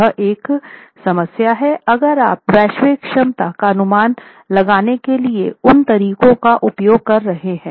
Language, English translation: Hindi, It is a problem if you were to use those approaches to estimate the global capacity of a system like this